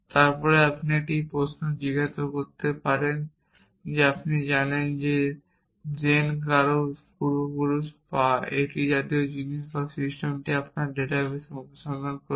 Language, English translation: Bengali, Then you could ask a query whether you know Jane is an ancestor of someone or things like that and the system will search in your database